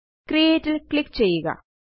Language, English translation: Malayalam, Click on the Create button